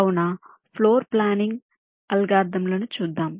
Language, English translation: Telugu, ok, so, floor planning algorithms